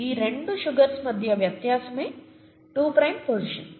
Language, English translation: Telugu, The only difference between these two sugars is the two prime position